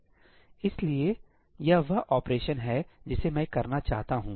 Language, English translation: Hindi, So, this is the operation I want to perform